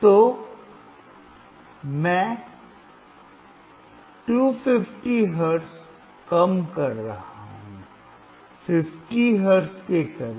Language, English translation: Hindi, So, I am decreasing 250 hertz, close to 50 hertz